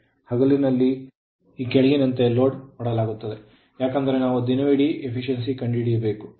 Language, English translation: Kannada, During the day, it is loaded as follows right it is because we have find out all day efficiency